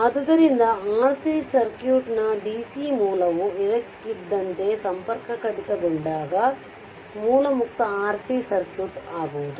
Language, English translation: Kannada, So, when dc source of a R C circuit is suddenly disconnected, a source free R C circuit occurs right